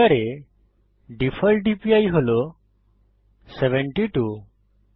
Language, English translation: Bengali, the default DPI in Blender is 72